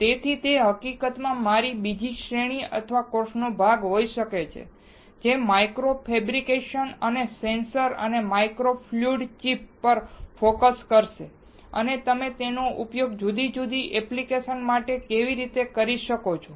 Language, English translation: Gujarati, So, that can be in fact, part of my another series or course, which will be focusing on micro fabrication and sensors and micro fluidic chips and how you can use it for different applications